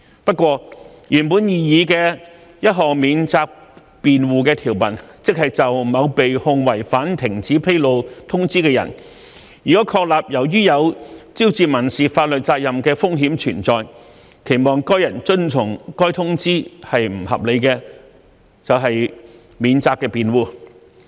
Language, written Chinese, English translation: Cantonese, 不過，原本擬議的條文中，有一項免責辯護，即就某被控違反停止披露通知的人，如確立由於有招致民事法律責任的風險存在，期望該人遵從該通知是不合理的，即為免責辯護。, However there is a defence under the original proposed provisions and that is it is a defence for a person charged with violation of a cessation notice to establish that it was not reasonable to expect himher to comply with the notice because there was a risk of incurring a civil liability